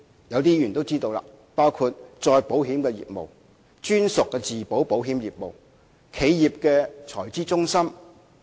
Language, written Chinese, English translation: Cantonese, 有些議員都知道這些例子，包括再保險業務、專屬自保保險業務、企業財資中心等。, Some Members are also aware of these examples including reinsurance business captive insurance business and corporate treasury centres